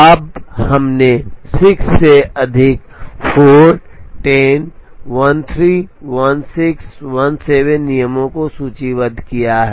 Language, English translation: Hindi, Now, we have listed about 6 plus 4, 10, 13, 16, 17 rules